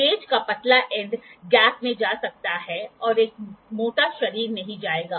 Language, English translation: Hindi, The thinner end of the gauge can go in to the gap and at a thicker body will not go